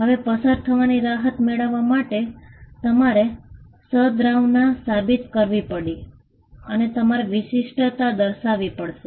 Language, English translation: Gujarati, Now, to get a relief of passing off, you had to prove goodwill and you had to show distinctiveness